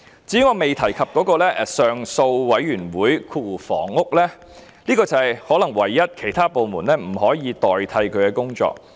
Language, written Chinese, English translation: Cantonese, 至於我未提及的綱領 3， 即上訴委員會，這可能是唯一不能由其他部門代勞的工作。, As for Programme 3 Appeal Panel Housing which I have yet to mention this might be the only function that cannot be performed by other departments